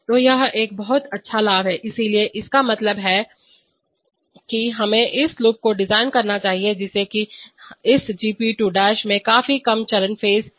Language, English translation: Hindi, So that is a very good advantage, so which means that we must design this loop such that this G’p2 has significantly lower phase